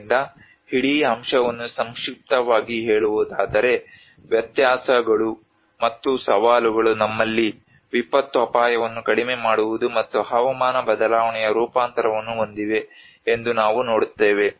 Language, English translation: Kannada, So to summarise whole aspect we see that differences and challenges we have disaster risk reduction and the climate change adaptation